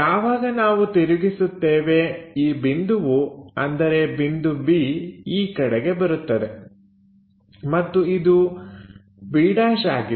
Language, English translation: Kannada, Once we rotate this point moves on to this point b and this one b’